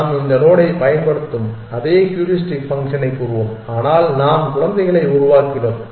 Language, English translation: Tamil, You pick one of them let us say the same heuristic function we are using we take this node, but we generated children